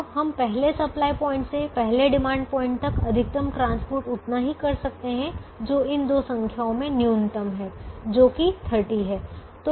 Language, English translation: Hindi, so the maximum we can transport from the first supply point to the first demand point is the minimum of these two numbers, which is thirty